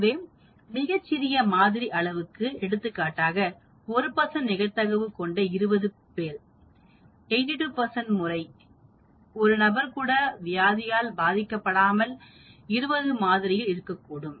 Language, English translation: Tamil, So, with the very small sample size for example, here 20 people with the 1 percent probability I may say that 82 percent of the time there will not be even a single person infected with that disease in this sample of 20